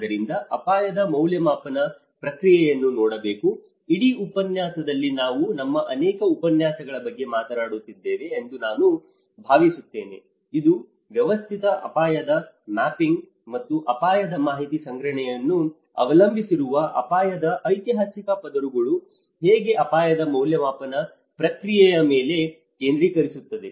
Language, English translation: Kannada, So, one has to look at the risk assessment process I think in the whole course we are talking about many of our lectures are focusing on the risk assessment process which rely on systematic hazard mapping and risk information collections, how the historical layers of the risk also talks about yes this is a prone area and inundation maps